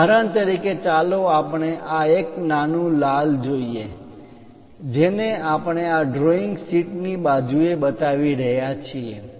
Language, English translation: Gujarati, For example, let us look at this one this small red one, that one extensively we are showing it at sides the side of this drawing sheet